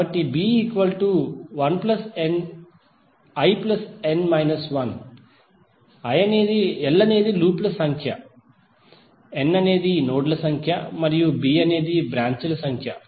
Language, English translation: Telugu, So b is nothing but l plus n minus one, number of loops, n is number of nodes and b is number of branches